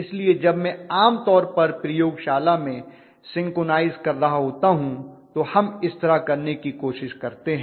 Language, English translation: Hindi, So when I am synchronizing generally in the laboratory what we try to do is